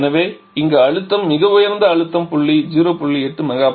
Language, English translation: Tamil, So, here we are working between the same pressure levels 0